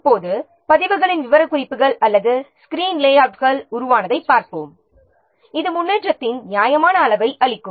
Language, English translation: Tamil, Now let's see, counting the number of records specifications or screen layouts produce, for example, it can provide a reasonable measure of the progress